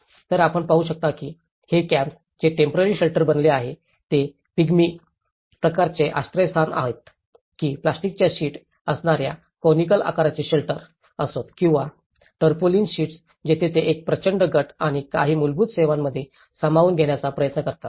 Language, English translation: Marathi, So, what you can see is this camps which are being a temporary shelters whether it is the Pygmy kind of shelters or a kind of conical shelters with the plastic sheet or the tarpaulin sheets where they try to accommodate in a huge groups and some basic services have been provided in those camps in this clusters